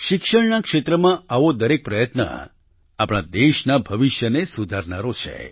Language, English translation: Gujarati, Every such effort in the field of education is going to shape the future of our country